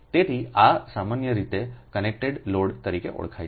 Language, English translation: Gujarati, so these are the commonly known as a connected load